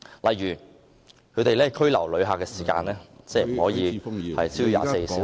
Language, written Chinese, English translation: Cantonese, 例如，拘留旅客的時間不得超過24小時......, One example of such restrictions is that the detention of a traveller shall not be longer than 24 hours